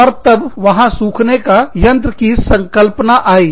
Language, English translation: Hindi, And then, there was the concept of a dryer